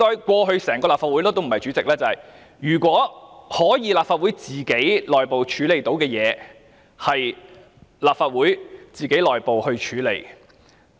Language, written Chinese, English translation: Cantonese, 過去，在立法會發生的內部事情，如果主席或立法會可以自行處理，便會自行處理。, In the past for affairs that take place internally in the Legislative Council if they could be handled by the President himself or by the Legislative Council itself they would be so handled